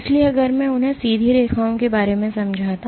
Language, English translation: Hindi, So, if I were to approximate them straight lines if